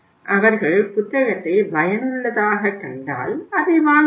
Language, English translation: Tamil, If they find the book useful they can buy the book